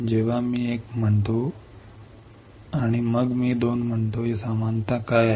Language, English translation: Marathi, When I say one and then I say 2 what is the similarity